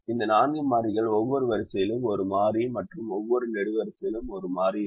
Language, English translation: Tamil, only four variables will take one and these four variables will be such that every row has one variable and every column has one variable